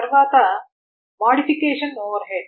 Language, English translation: Telugu, Then the modification overhead